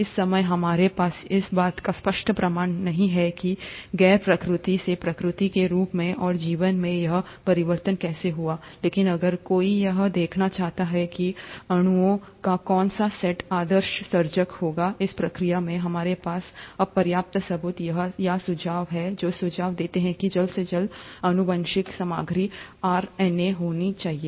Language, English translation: Hindi, At this time, we don’t really have the clear proof as to how this change happened from a non replicative to the replicative form and life, but, if one were to look at which set of molecules would have been the ideal initiator of this process, we now have sufficient proof or suggestions which suggest that the earliest genetic material must have been RNA